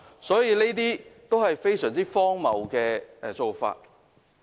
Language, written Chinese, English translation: Cantonese, 這些都是非常荒謬的做法。, All these are ridiculous changes